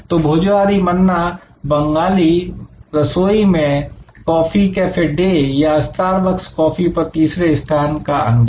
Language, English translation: Hindi, So, Bhojohori Manna Bengali cuisine, coffee cafe day or star bucks on coffee, the third place experience